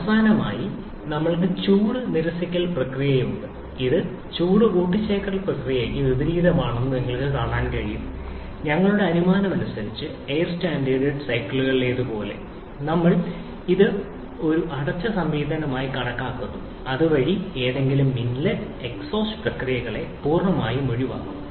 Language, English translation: Malayalam, Then, we have the expansion or power stroke, which is representative of this one and finally we have the heat rejection process, which is you can visualize to be opposite of the heat addition process and as in air standard cycles as per our assumption, we are considering it to be a closed system thereby completely eliminating any inlet and exhaust processes